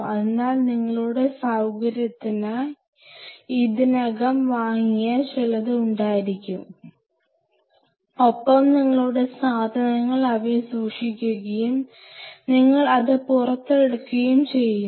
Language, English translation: Malayalam, So, you can have bunch of them already purchased for your facility and you keep your stuff in them and you bring it out